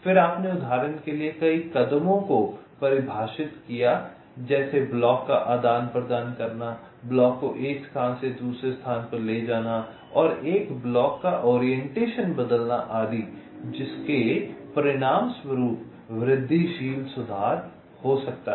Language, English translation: Hindi, then you defined a number of moves, like, for example, exchanging to blocks, moving of block from one position to another, changing the orientation of a block, etcetera, which might resulting incremental improvements